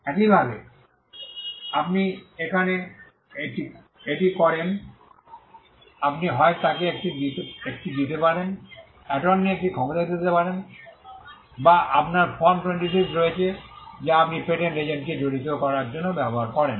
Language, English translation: Bengali, Similarly, here you do that by, you could either give her a, give a power of attorney or you have Form 26, which you use to engage a patent agent